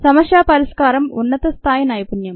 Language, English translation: Telugu, problem solving is a higher level skill